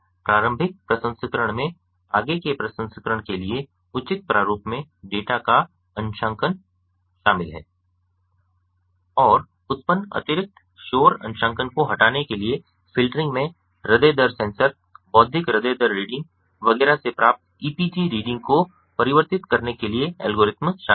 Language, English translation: Hindi, so preliminary processing includes calibration of the data in proper format for further processing and filtering to remove access noise generated calibration includes algorithms to convert epg reading obtained from the heart rate sensor, intellectual heart rate readings, etcetera